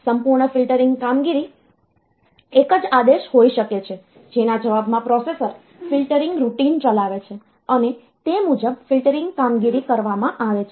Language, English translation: Gujarati, So, there this we entire filtering operation may be a single comment in the response to which the processor executes the filtering routine and accordingly the filtering operation is done